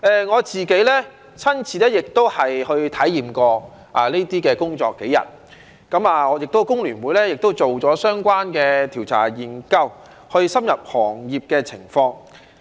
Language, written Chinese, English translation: Cantonese, 我自己亦親身體驗過這些工作數天，我們香港工會聯合會亦做了相關的調查研究，去深入了解行業的情況。, I myself have also got a firsthand experience of this job type for a few days . We in the Hong Kong Federation of Trade Unions FTU have conducted a research study so as to gain a deeper understanding of this industry